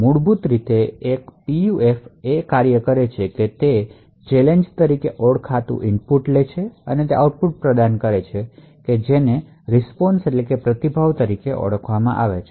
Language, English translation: Gujarati, So, basically a PUF is a function, it takes an input known as challenge and provides an output which is known as the response